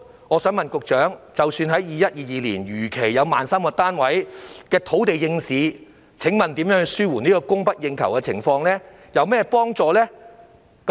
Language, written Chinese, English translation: Cantonese, 我想問局長，即使 2021-2022 年度如期有可供興建 13,000 個單位的土地應市，這對紓緩供不應求的情況有何幫助？, I would like to ask the Secretary Even if the land for the provision of 13 000 units can come on stream in 2021 - 2022 as scheduled how will this make up the shortfalls in supply?